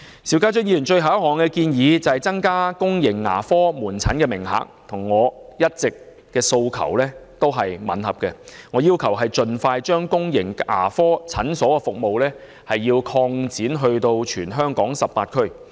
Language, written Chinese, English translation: Cantonese, 邵議員提出的最後一項建議，是增加公營牙科門診名額，這點與我一直以來的訴求吻合，我要求政府盡快把公營牙科診所服務擴展至全港18區。, The last proposal put forward by Mr SHIU is to increase the quotas of public dental outpatient services which is in line with my long - standing demand that the Government should expand its public dental clinic services to all 18 districts throughout the territory as soon as possible